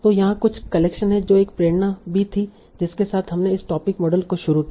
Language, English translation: Hindi, So here is something the collection that was also one of the motivation with which we started these topic models